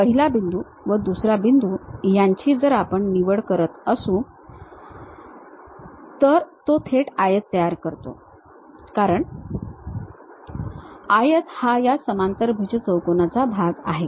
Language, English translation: Marathi, First point, second point, if we are picking, then it construct directly a rectangle because rectangle is part of this parallelogram